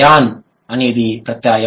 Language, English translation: Telugu, Eon is a suffix